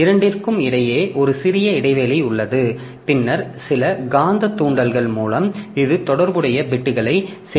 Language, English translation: Tamil, So, to take care of that, so there is a small gap between the two and then by some magnetic induction so it gets the corresponding bits stored